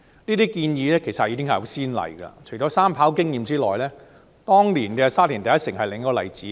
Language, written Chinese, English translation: Cantonese, 這些建議已經有先例，除了三跑的經驗之外，當年的"沙田第一城"就是另一個例子。, There have been precedents for such arrangement . Apart from the experience of the third runway the development of City One in Sha Tin is another example